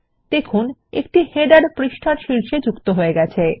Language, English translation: Bengali, We see that a footer is added at the bottom of the page